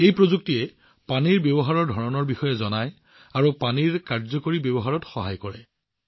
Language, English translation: Assamese, This technology will tell us about the patterns of water usage and will help in effective use of water